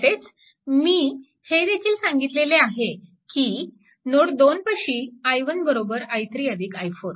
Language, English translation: Marathi, This is equation 1 at node 2 also I told you i 1 is equal to i 3 plus I 4